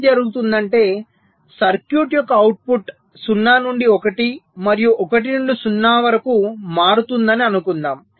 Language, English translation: Telugu, so what might happen is that, ah, suppose the output of the circuit, so it is changing from zero to one, it is changing from one to zero